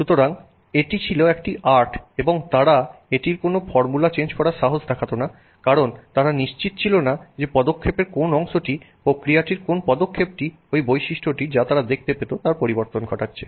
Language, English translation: Bengali, So, it was an art and they did not dare change any formula in it because they were not sure exactly which part of that step, which step in the process was affecting that property that they were seeing